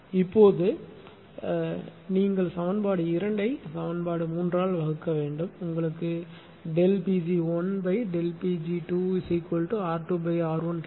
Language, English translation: Tamil, Now, if you divide equation 2 by equation 3 then you will get delta P g 1 upon delta P g 2 is equal to R 2 upon R 1